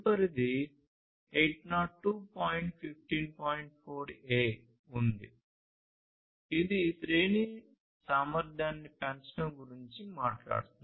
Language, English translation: Telugu, 4a, which talks about increasing the range capability